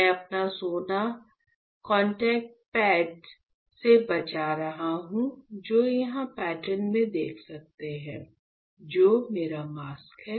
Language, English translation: Hindi, So, what is having, I am saving my gold from the contact pads; which you can see here in the pattern, which is my mask ok, this is my mask